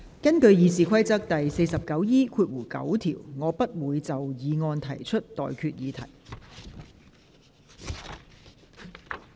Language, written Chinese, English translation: Cantonese, 根據《議事規則》第 49E9 條，我不會就議案提出待決議題。, In accordance with Rule 49E9 of the Rules of Procedure I will not put any question on the motion